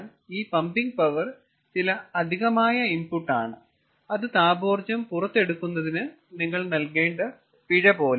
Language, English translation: Malayalam, so this pumping power is some extra input and that is the penalty you have to pay for extracting thermal energy